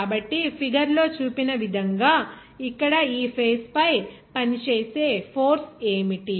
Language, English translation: Telugu, So, what will be the force acting on this face here as shown in the figure